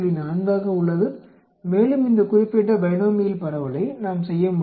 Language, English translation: Tamil, 4 and we can do this particular binomial distribution